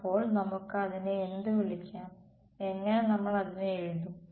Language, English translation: Malayalam, So, what can we call it, how will we write it